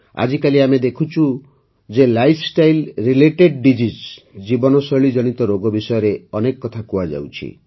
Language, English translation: Odia, Nowadays we see how much talk there is about Lifestyle related Diseases, it is a matter of great concern for all of us, especially the youth